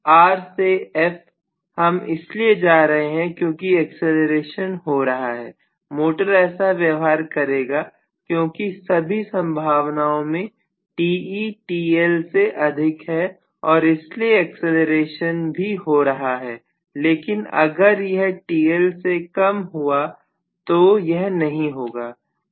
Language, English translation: Hindi, From R to from R to F, I would essentially go because of the acceleration inherently taking place, the motor will go because Te in all probability in that case if it is greater than TL, only then acceleration will take place, but it is not greater than TL it will not take place, right